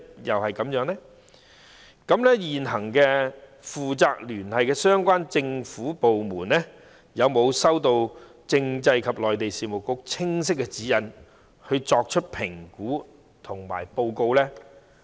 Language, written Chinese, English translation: Cantonese, 現行負責聯繫的相關政府部門有否收到政制及內地事務局清晰的指引，作出評估及報告？, Have the relevant government departments currently responsible for liaison received clear guidelines from the Constitutional and Mainland Affairs Bureau for making assessments and reports?